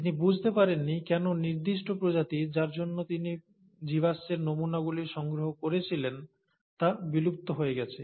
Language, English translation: Bengali, He also did not understand why certain species for which he had collected the fossil samples become extinct